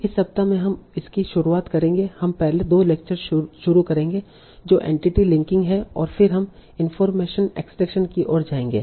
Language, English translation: Hindi, So this week we will start with, so we will start the first two lectures the entity linking and then we will go towards information extraction